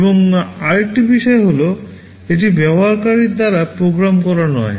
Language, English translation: Bengali, And another point is that, this is not meant to be programmed by the user